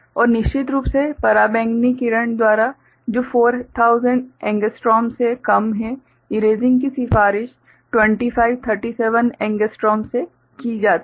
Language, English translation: Hindi, And erasing of course, by ultraviolet ray which is shorter than 4000 angstrom, recommended is 2537 angstrom